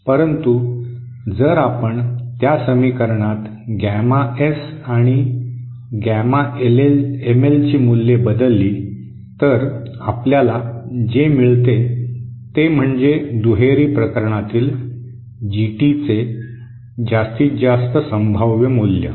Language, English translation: Marathi, I’m not repeating that equation but if we substitute these values of gamma S and gamma ML in that equation, what we get is actually the maximum possible game, maximum possible value of GT for the bilateral case